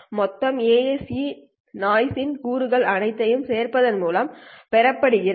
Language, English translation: Tamil, The total AAC noise is obtained by adding up all these elements